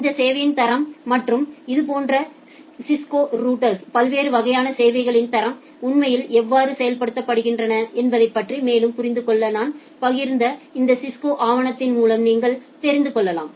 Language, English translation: Tamil, And you can go through this Cisco documentation that I have shared to understand more about this quality of service and how different types of quality of service are actually implemented in such Cisco routers